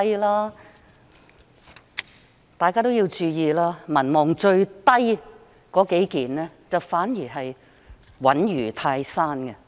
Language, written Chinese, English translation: Cantonese, 請大家注意，民望最低的數位官員，反而穩如泰山。, However please note that the several public officers with the lowest popularity rating have remained steadfast in their positions